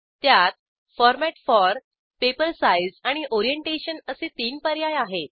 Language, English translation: Marathi, There are 3 options here Format for, Paper size and Orientation